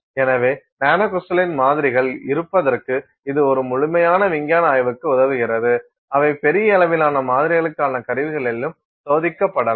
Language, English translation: Tamil, So, it really helps for a very thorough scientific study to have samples which are nanocrystalline which can also be tested on instruments that are meant for larger scale samples